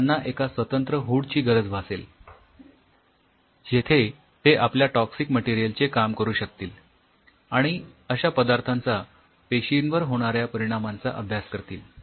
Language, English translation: Marathi, So, they may need a very separate hood where they can play out with there you know toxic material and see they are effect on the cells